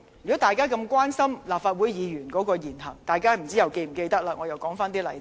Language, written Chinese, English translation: Cantonese, 如果大家關心立法會議員的言行，大家又是否記得一些事件呢？, Do those Members who are concerned about the words and deeds of Legislative Council Members remember an incident?